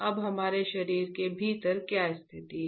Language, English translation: Hindi, Now what is the situation within our body, right